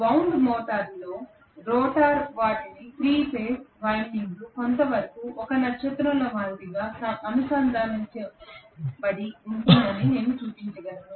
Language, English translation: Telugu, The rotor ones in a wound rotor I can show the 3 phase windings may be connected in a star somewhat like this